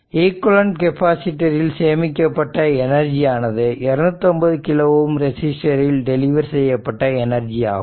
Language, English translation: Tamil, The energy stored in the equivalent capacitor is the energy delivered to the 250 kilo ohm resistor